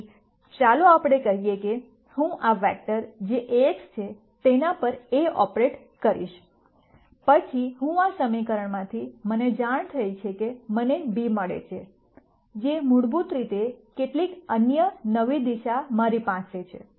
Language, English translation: Gujarati, So, let us say I operate A on this vector which is Ax then I notice from this equation I get b, which is basically some other new direction that I have